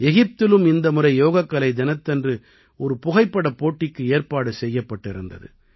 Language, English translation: Tamil, This time in Egypt, a photo competition was organized on Yoga Day